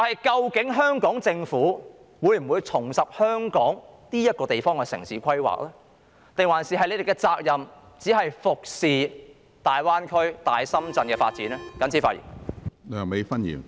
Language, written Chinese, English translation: Cantonese, 究竟香港政府會否重拾香港這個地方的城市規劃，還是其責任只是服侍大灣區、大深圳的發展呢？, Will the Hong Kong Government reinitiate urban planning for this place known as Hong Kong or will it only be duty - bound to cater to the development of the Greater Bay Area and greater Shenzhen?